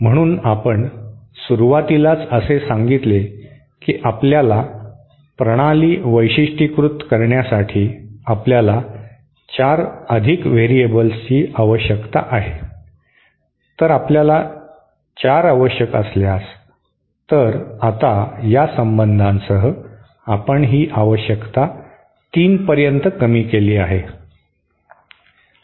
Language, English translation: Marathi, So we at the beginning made a why in the previous night I said we need 4 more you need 4 more variables to completely characterize the system so if we needed 4, so now with this relationship we have reduced the requirement to 3